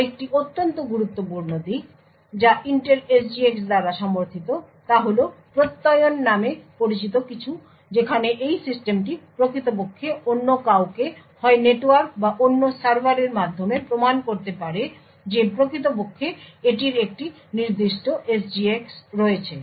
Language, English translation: Bengali, Another very important aspect which is supported by Intel SGX is something known as Attestation where this system can actually prove to somebody else may be over the network or another server that it actually has a particular SGX